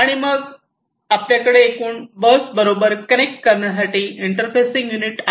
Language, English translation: Marathi, And then you have the interfacing unit to the overall bus